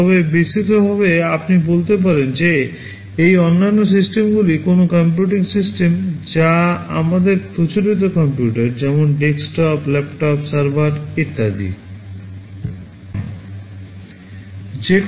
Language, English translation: Bengali, But broadly speaking you can say that these other systems are any computing system, which are not our conventional computers like desktop, laptop, servers etc